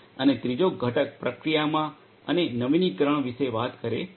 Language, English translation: Gujarati, And the third component talks about innovation in the process and the production